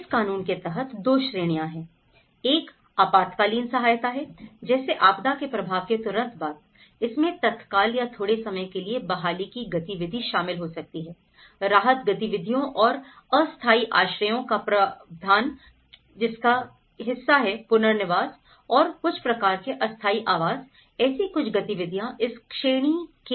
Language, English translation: Hindi, One is the emergency aid, immediately after the effect of disaster like, it could involve short term recovery, the relief activities and the provision of temporary shelters which is a part of the rehabilitation and also some kind of temporary housing, these are the activities which looked into under this category